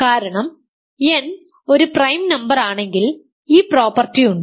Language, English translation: Malayalam, So, if n is a prime number n is an integer